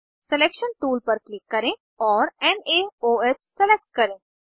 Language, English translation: Hindi, Click on Selection tool and select NaOH